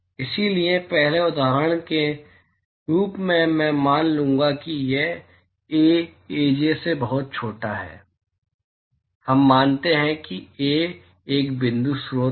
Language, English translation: Hindi, So, as a first example I will assume that Ai is much smaller than Aj, we assume that Ai is a point source